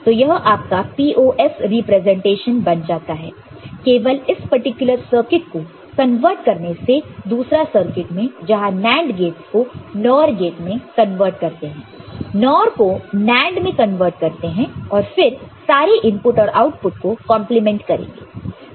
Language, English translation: Hindi, So, this becomes your POS representation by simply converting this particular circuit with the other circuit where NAND gates are converted to NOR, NOR will be converted to NAND and complement all inputs and outputs